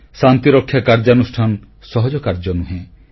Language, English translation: Odia, Peacekeeping operation is not an easy task